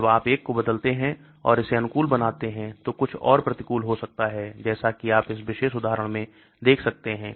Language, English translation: Hindi, When you change one and make it favorable something else could become unfavorable as you can see in this particular example